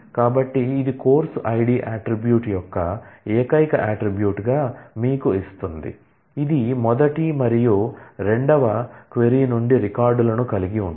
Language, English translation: Telugu, So, this will simply give you a relation of the course id attribute as the only attribute, which has records from the first as well as the second query